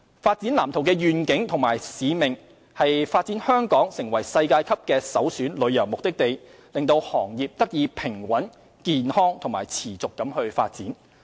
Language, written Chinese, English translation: Cantonese, 《發展藍圖》的願景和使命為發展香港成為世界級的首選旅遊目的地，讓行業得以平穩、健康及持續發展。, The vision and mission of the Development Blueprint is to develop Hong Kong into a world - class premier tourism destination with a view to ensuring the balanced healthy and sustainable development of the industry